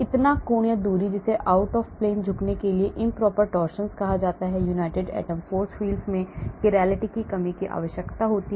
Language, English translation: Hindi, so angle or distance that is called improper torsions for out of plane bending, chirality constraints are required in united atom force fields